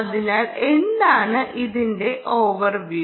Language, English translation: Malayalam, so what is the overview